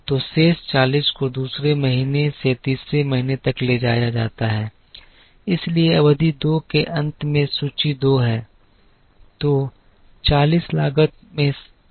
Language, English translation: Hindi, So, the balance 40 is carried over from second month to third month so inventory at the end of period 2 is 2